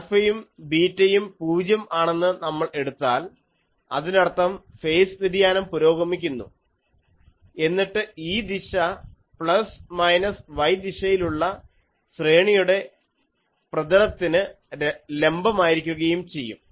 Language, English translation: Malayalam, And if we take alpha is equal to 0 is equal to beta that means, the progressive phase shift, then this direction will be perpendicular to the plane of the array that is along plus minus y direction